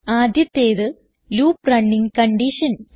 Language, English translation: Malayalam, First is the loop running condition